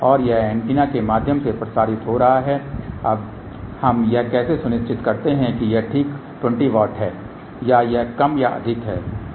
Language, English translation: Hindi, And that is transmitting through the antenna now how do we ensure that it is exactly 20 watt or it is less or more